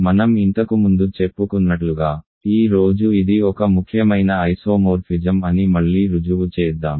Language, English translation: Telugu, So, let me re prove that today and as I said this is an important isomorphism